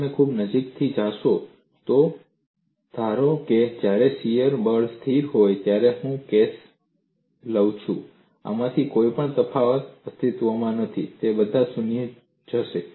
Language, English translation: Gujarati, If you look at very closely, suppose I take the case when body force is constant, none of these differential can exists they will all go to 0